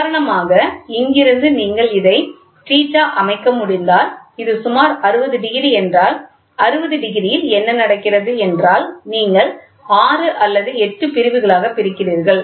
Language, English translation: Tamil, Say for example, from here if you can set this theta if it is around about 60 degrees, right, 60 degrees what is happening is you are dividing in to may be 6 or 8 divisions